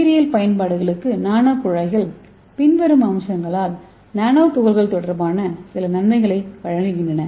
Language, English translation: Tamil, For biological applications so here the nano tube offer some advantages related to nano particles by the following aspects, the first thing is larger inner volumes